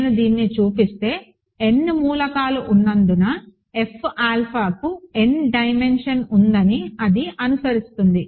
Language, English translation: Telugu, If I show this it will follow that F alpha has dimension n, right because there are n elements